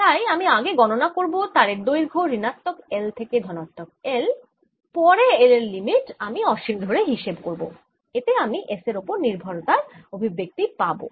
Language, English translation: Bengali, so i have to actually do this calculation by taking a long wire going from minus l to l and then taking the limit l, going to infinity, and that'll give me the s dependence